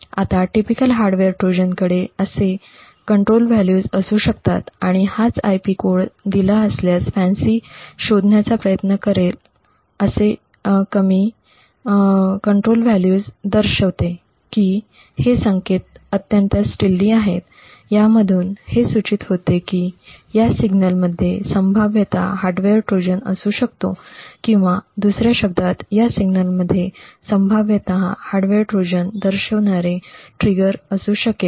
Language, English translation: Marathi, Now a typical Hardware Trojan would have such a control value that is it would have a such a control value and this is what FANCI tries to actually identify given an IP code, such a low control value indicates that these signals are highly stealthy which in turn would indicate that these signals may potentially have a hardware Trojan present in them or in other words these signals may potentially have a trigger for a hardware Trojan present in them